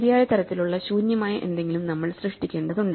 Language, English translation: Malayalam, So, we need to create something which is empty of the correct type